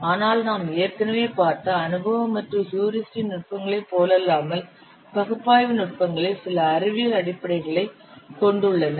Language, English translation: Tamil, But unlike the empirical and heuristics techniques that we have already seen the analytical techniques, they have certain scientific basis